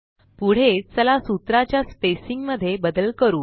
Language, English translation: Marathi, Next, let us make changes to the spacing of the formulae